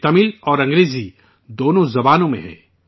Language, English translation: Urdu, This is in both Tamil and English languages